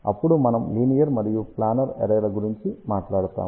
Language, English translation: Telugu, Then we will talk about linear and planar arrays